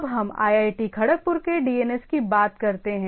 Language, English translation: Hindi, So, have suppose IIT Kharagpur DNS